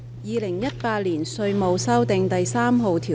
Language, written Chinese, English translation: Cantonese, 《2018年稅務條例草案》。, Inland Revenue Amendment No . 3 Bill 2018